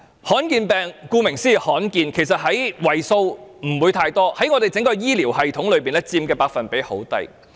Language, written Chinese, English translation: Cantonese, 罕見疾病，顧名思義是罕見的，為數不會太多，在我們整個醫療系統中佔的百分比很低。, Rare diseases as the name suggests are small in number only accounting for a small percentage in the diseases in the entire health care system . Health care staff in Hong Kong are in dire straits